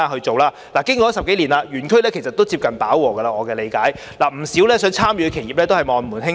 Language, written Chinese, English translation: Cantonese, 據我了解，經過10多年，園區其實已經接近飽和，不少有意參與的企業只能望門興嘆。, As far as I am aware after more than 10 years the park is actually close to saturation and many interested enterprises can only feel disappointed and disheartened